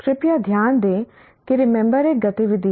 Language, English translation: Hindi, Because please note that remember is an activity